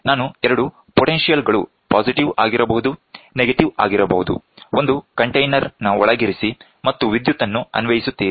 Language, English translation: Kannada, I take 2 potentials may be positive, negative, put it inside a container and keep applying electricity